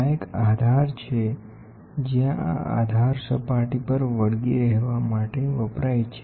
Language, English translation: Gujarati, This is a base where this base is used to stick on to the surface